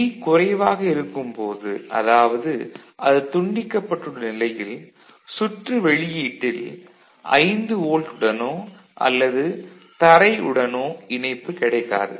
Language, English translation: Tamil, When G is low; that means, it is disconnected the circuit, at the output does not get either 5 volt or ground, any of them it is not getting ok